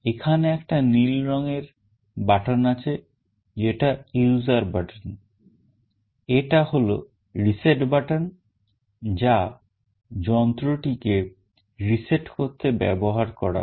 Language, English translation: Bengali, There is a blue color button that is the user button, this is the reset button that will be used to reset the device